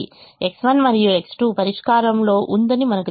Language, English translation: Telugu, we know the solution: x one and x two were in the solution